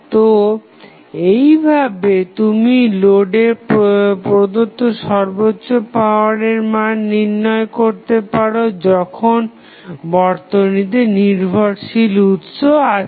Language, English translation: Bengali, So, in this way, you can find out the value of maximum power being transferred to the load when any dependent sources available